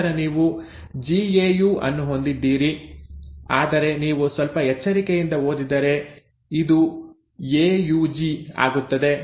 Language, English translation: Kannada, Then you have GAU, but then if you read a little carefully this becomes AUG